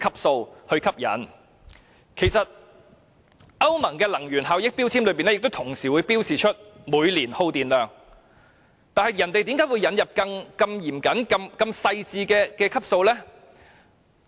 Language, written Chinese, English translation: Cantonese, 事實上，歐盟的能源標籤也會同時標示每年的耗電量，那麼為何我們要引入如此嚴謹、細緻的分級制？, In fact energy labels of the European Union also indicate the annual energy consumption . Why do we have to introduce such a stringent and fine grading system?